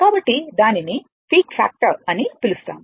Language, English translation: Telugu, So, that is your what you call call peak factor